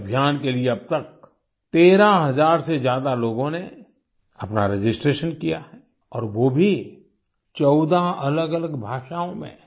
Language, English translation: Hindi, For this more than 13 thousand people have registered till now and that too in 14 different languages